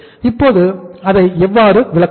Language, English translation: Tamil, Now how do we interpret it